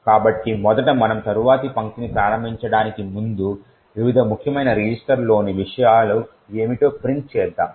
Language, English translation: Telugu, So, first of all before we invoke the next line let us print what are the contents of the various important registers